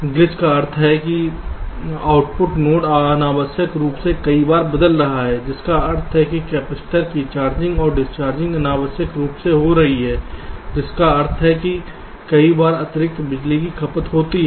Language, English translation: Hindi, glitch means the output node is changing unnecessarily a few times, which means charging and discharging of the capacitor is taking place unnecessarily that many times, which means, ah, extra power consumption